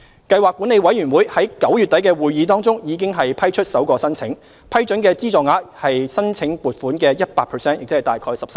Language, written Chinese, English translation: Cantonese, 計劃管理委員會在9月底的會議中，已批出首個申請，批准的資助額為申請款額的 100%。, The Programme Management Committee PMC approved the first application at its meeting in end September and the approved funding represented 100 % of the amount sought